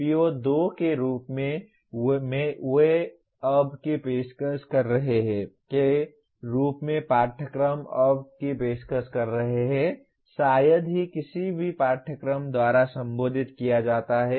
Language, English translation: Hindi, PO2 is as they are offered now, as courses are offered now, is hardly addressed by any course